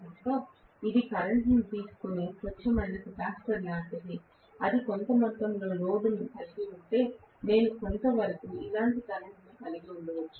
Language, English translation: Telugu, So it is like a pure capacitor drawing a current or if it is having some amount of load, then I may have a current somewhat like this, depending upon